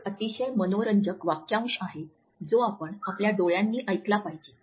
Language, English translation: Marathi, There is a very interesting phrase which we come across that we should listen through eyes